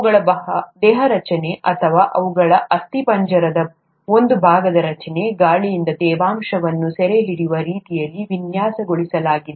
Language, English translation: Kannada, Their body structure or their, the structure of a part of the skeleton is designed such that to, in such a way to capture the moisture from the air